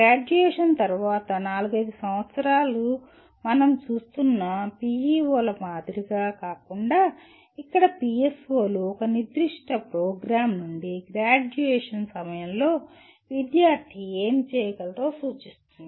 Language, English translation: Telugu, Unlike PEOs where we are looking at four to five years after graduation, here PSOs represent what the student should be able to do at the time of graduation from a specific program